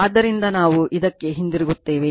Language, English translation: Kannada, So, , we will come back to this